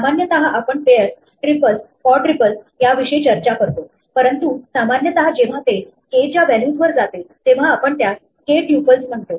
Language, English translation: Marathi, Normally we talk about pairs, triples, quadruples, but in general when it goes to values of k we call them k tuples